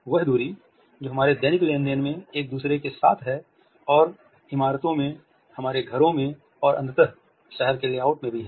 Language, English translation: Hindi, The distance which we have with each other in our daily transactions and also the organization of a space in our houses in buildings and ultimately in the layout of the town